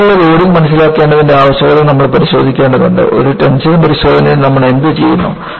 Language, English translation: Malayalam, And, we will have to look at the need for understanding repeated loading; because in a tension test, what you do